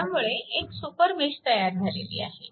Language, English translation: Marathi, So, a super mesh is created